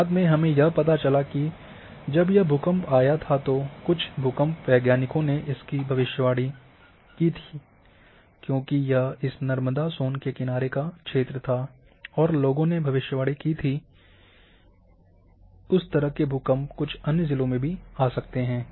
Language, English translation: Hindi, Later on what it was found that when this earthquake occurred people some seismologist predicted because this occurred along this Narmada Son lineament,people predicted that there might be some propagation and then earthquakes in some other districts may also occur